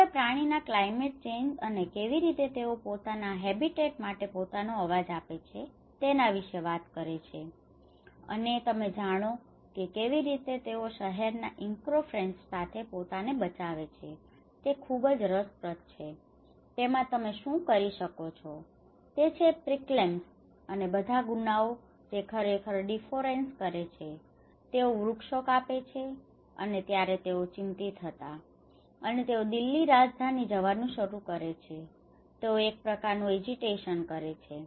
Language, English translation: Gujarati, They talked about how animals show their you know concerns about the climate change and how they want to actually give their voice of their habitat, and you know how to safeguard themselves with the city encroachments, so this is all very interesting what you can see is this the proclaims and all the crimes which are actually taking the deforestation, they are cutting down the trees, and then the animals were worried, and they start going to the Delhi, the capital, and they are making some kind of agitation